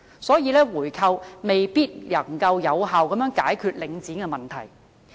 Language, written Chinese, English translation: Cantonese, 所以，回購未必能夠有效解決領展的問題。, For this reason a buy - back may not be the most effective way to solve the Link REIT problems